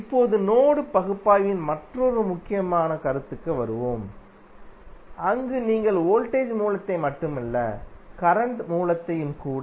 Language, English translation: Tamil, Now, let us come to another important concept of mesh analysis where you have the source is not simply of voltage source here source is the current source